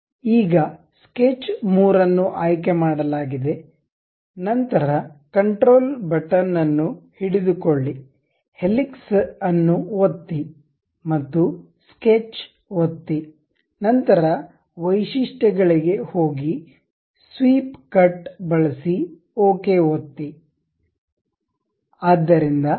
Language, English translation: Kannada, Now, sketch 3 is selected, then control button, hold it, click helix, and also sketch, then go to features, use swept cut, click ok